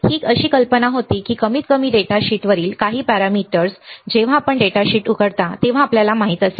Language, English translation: Marathi, That was the idea that at least at least some of the parameters on the datasheet, when you open the datasheet you will be able to know